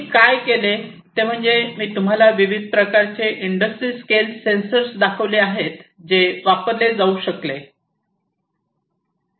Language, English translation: Marathi, And what I have done is I have shown you these different types of industry scale sensors that could be used